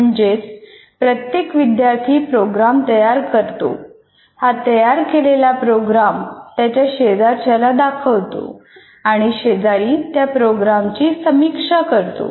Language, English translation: Marathi, That means each student programs creates a program, shares it with the, let us say, his neighbor, and the neighbor will critic and you critic the neighbor's program